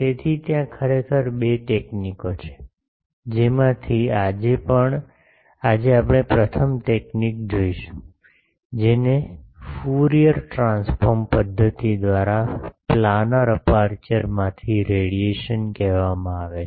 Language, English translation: Gujarati, So, there are actually two techniques out of that today we will see the first technique; that is called the radiation from a planar aperture by Fourier transform method